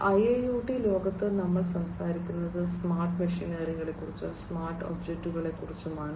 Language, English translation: Malayalam, So, in the IIoT world we are talking about smart machinery, smart objects, smart physical machinery